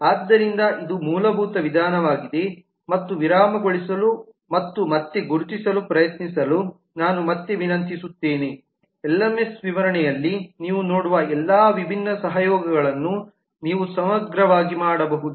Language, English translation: Kannada, so this is the basic approach and i would again request you to pause and try to identify as exhaustively as you can all the different collaborations that you see in the lms specification